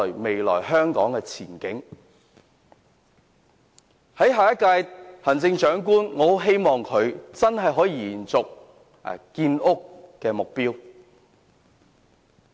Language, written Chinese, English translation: Cantonese, 我希望下一屆行政長官能夠延續建屋目標。, I hope that the next Chief Executive can carry on the target of housing construction